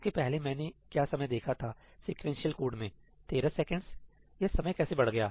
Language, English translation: Hindi, What is the time I had seen earlier, in the sequential code 13 seconds